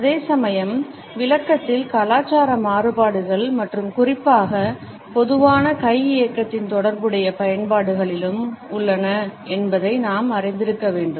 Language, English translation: Tamil, At the same time we also have to be aware that cultural variations in the interpretation as well as in the allied usages of a particularly common hand movement are also there